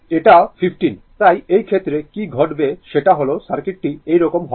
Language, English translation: Bengali, It is 15, so in this case what will happen the circuit will be like this